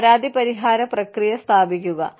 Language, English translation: Malayalam, Establish a complaint resolution process